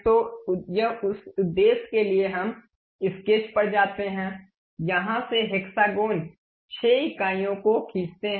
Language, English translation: Hindi, So, for that purpose we go to sketch, pick hexagon 6 units from here draw it